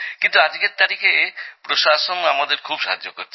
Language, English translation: Bengali, But in present times, the administration has helped us a lot